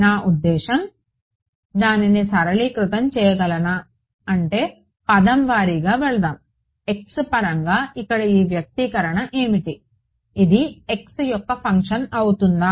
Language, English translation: Telugu, I mean can I simplify it rather what is let us go term by term what is this expression over here in terms of x is it a function of x